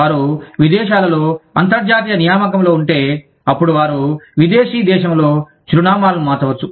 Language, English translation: Telugu, If they are on an international assignment abroad, then they may change addresses, within the foreign country